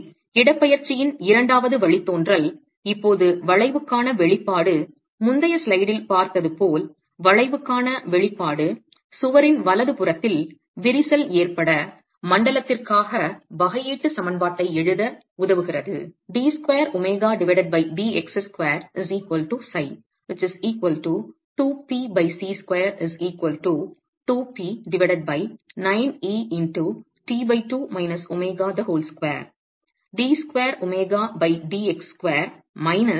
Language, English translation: Tamil, So the second derivative of the displacement as the curvature with now the expression for curvature derived as we saw in the previous slide is going to help us write down the differential equation for the cracked zone of the wall